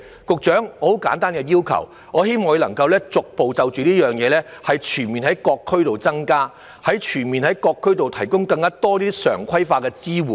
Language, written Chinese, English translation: Cantonese, 局長，我只有很簡單的要求，我希望就這一點當局可以逐步全面地在各區提供更多常規化的支援。, Secretary I only have a very simple request . I hope that the authorities can gradually and comprehensively provide more regularized support in various districts